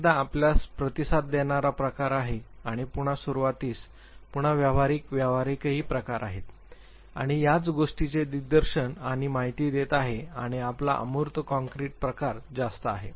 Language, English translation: Marathi, Once again, you have responding type and initiating type again affiliative pragmatic again here and the same thing directing and informing and your higher your abstract concrete types